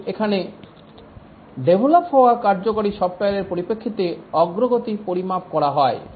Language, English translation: Bengali, But here the progress is measured in terms of the working software that has got developed